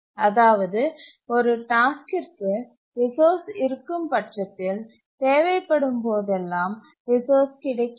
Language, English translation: Tamil, Whenever a task requires a resource, it gets it if the resource is free